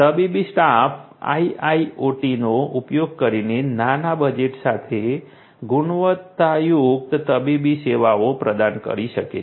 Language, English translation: Gujarati, Medical staff can provide quality medical services with small budget using IIoT